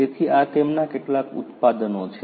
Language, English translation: Gujarati, So, these are some of their products